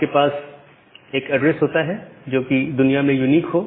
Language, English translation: Hindi, So, you have one address which is unique globally